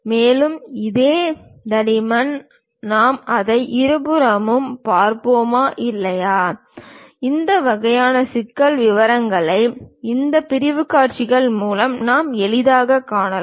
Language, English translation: Tamil, And further, whether this same thickness we will see it on both sides or not; this kind of intricate details we can easily observe through this sectional views